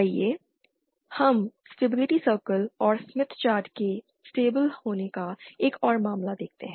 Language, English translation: Hindi, Let us see another case of stable of the stability circle and the smith chart